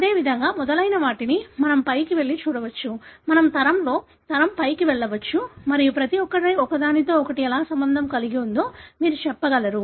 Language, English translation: Telugu, Likewise we can go up and so on; we can go up in the hierarchy, in the generation and you will be able to tell how each one is related to the other